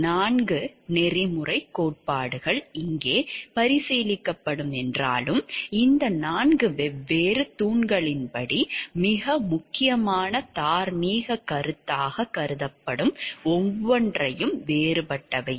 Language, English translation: Tamil, Though there are four ethical theories that will be considered over here and each is different according to what is held to be most important moral concept according to these four different pillars